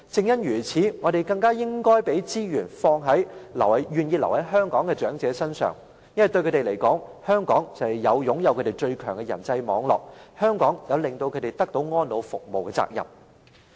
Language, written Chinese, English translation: Cantonese, 因此，我們更應該把資源投放在願意留在香港的長者身上。因為，對他們而言，香港就是他們擁有最強人際網絡的地方，香港亦有讓他們得到安老服務的責任。, Hence we should more than ever use the resources on the elderly persons who are willing to stay in Hong Kong because this is the place where they have the strongest personal network . Besides Hong Kong also has the responsibility to provide them with elderly care services